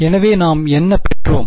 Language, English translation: Tamil, So, what we derived